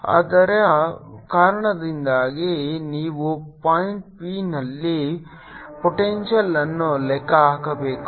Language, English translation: Kannada, due to that, you have to calculate the potential at point p